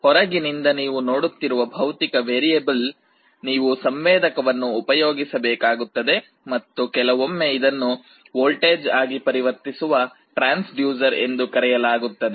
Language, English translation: Kannada, The physical variable that you are sensing from outside, you need to use some kind of a sensor, it is sometimes called a transducer to convert it into a voltage